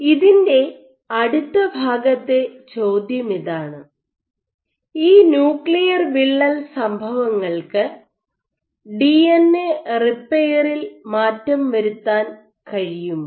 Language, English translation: Malayalam, The next part of it is question is, can these nuclear rupture events lead to alterations in DNA repair